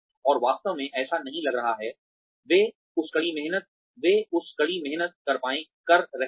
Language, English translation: Hindi, And, not really feel that, they are working that hard